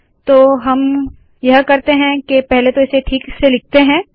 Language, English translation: Hindi, So what we should do is, let us first, put this properly, compile this